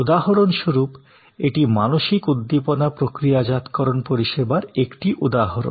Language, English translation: Bengali, So, for example, this is an example of mental stimulus processing service